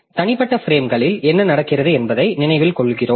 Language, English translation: Tamil, So, like that we remember what is happening to the what was there in the individual frames